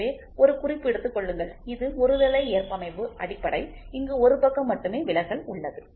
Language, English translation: Tamil, So, please make a note this is unilateral tolerance basic only one side there is deviation